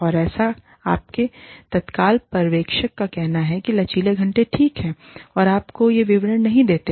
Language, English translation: Hindi, And, that is, so your immediate supervisor says, flexible hours are okay, and does not give you, these details